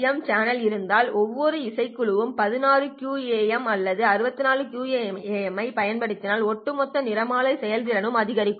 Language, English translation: Tamil, If you have a DWDM channel of 200 bands and each band can then be utilizing a 16 quam or a 64 quam, then the overall spectral efficiency will also increase